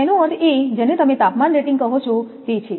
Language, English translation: Gujarati, That means that is your what you call temperature rating